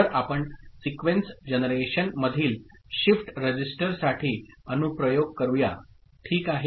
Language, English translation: Marathi, So, next we look at application of a shift register in sequence generation, ok